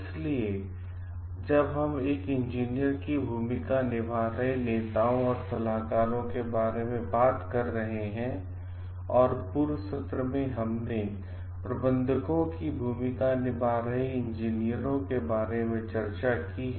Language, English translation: Hindi, So, when we are talking of leaders and consultants an engineer s role as leaders and consultants in the earlier class we have discussed about the role of engineers as managers